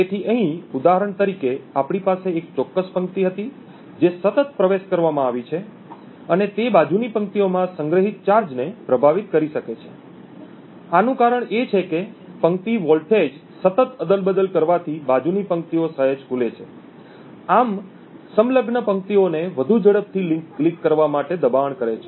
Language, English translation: Gujarati, So for example over here we had one specific row which has been continuously accessed and it could influence the charge stored in the adjacent rows, the reason for this is that continuously toggling the row voltage slightly opens the adjacent rows, thus forcing the adjacent rows to leak much more quickly